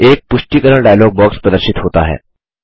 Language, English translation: Hindi, A confirmation dialog box appears.Click OK